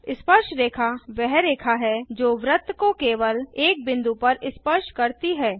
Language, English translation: Hindi, Tangent is a line that touches a circle at only one point